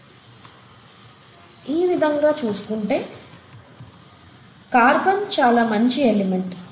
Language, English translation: Telugu, So in that sense, carbon seems to be a very nice element